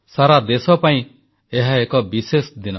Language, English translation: Odia, This day is special for the whole country